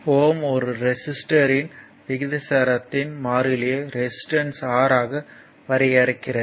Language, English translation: Tamil, Ohm defined the constant of proportionality for a resistor to be resistance R